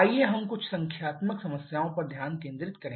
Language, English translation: Hindi, Let us concentrate on a few numerical problems